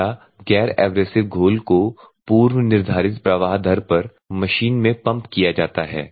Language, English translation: Hindi, Fresh non abrasive component solution is pumped into the machine at the predetermined flow rate